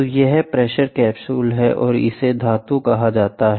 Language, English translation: Hindi, So, this is the pressure capsule or it is called metal